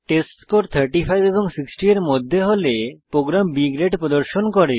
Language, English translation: Bengali, If the testScore is between 35 and 60 then the program displays B Grade